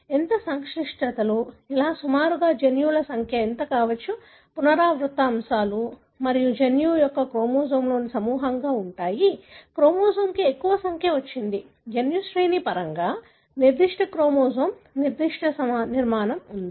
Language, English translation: Telugu, How complexities, how, roughly what could be the number of genes, what are the repeat elements and how the genome, genes are clustered in chromosome, which chromosome has got more number, is there any chromosome specific architecture in terms of genome sequencing